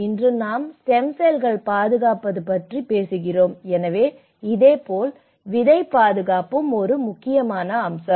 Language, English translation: Tamil, Today, we are talking about stem cells protection, so similarly the seed protection is also an important